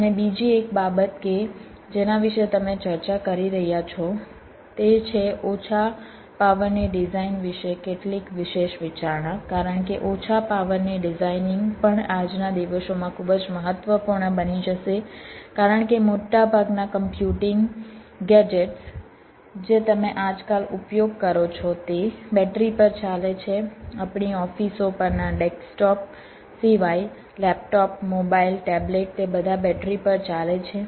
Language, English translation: Gujarati, and another thing also that you will be discussing about is some special consideration about low power design, because low power design, because low power designing will also extremely important now a days, because most of the computing gadgets that you use now a days are operated on battery, other than the desktops one, or offices, laptops, mobiles, tablets, they all operate on batteries